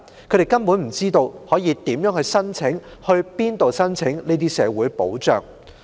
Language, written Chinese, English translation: Cantonese, 他們根本不知道如何申請、到哪裏申請這些社會保障。, In fact they do not know how and where they can apply for these social security benefits